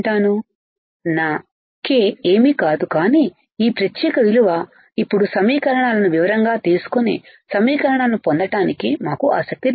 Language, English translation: Telugu, My k is nothing, but this particular value now we are not interested in deriving the equations not in detail deriving equations